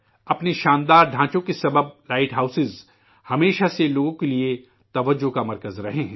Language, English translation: Urdu, Because of their grand structures light houses have always been centres of attraction for people